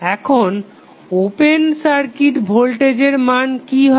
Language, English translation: Bengali, Now, what would be the value of open circuit voltage